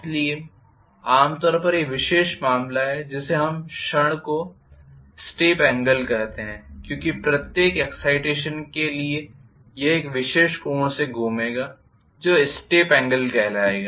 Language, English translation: Hindi, So, generally is this particular case we call the moment as the step angle because for every excitation it will move by a particular angle called Step angle